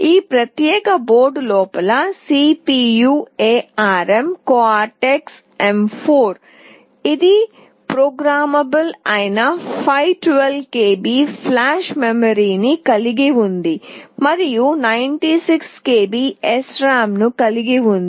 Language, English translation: Telugu, The CPU inside this particular board is ARM Cortex M4; it has got 512 KB of flash memory that is programmable and 96 KB of SRAM